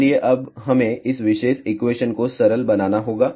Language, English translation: Hindi, So, now, we have to simplify this particular equation